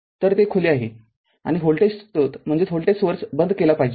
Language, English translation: Marathi, So, it is open and voltage source is should be turned off